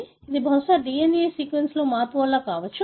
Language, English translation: Telugu, So, that is probably because of the change in the DNA sequence